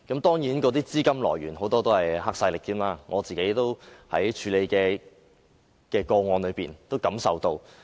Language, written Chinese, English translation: Cantonese, 當然，那些資金很多甚至來自黑勢力，我在自己處理的個案中也能察覺得到。, Certainly a lot of the capital even came from triads . I have noticed it in the cases handled by me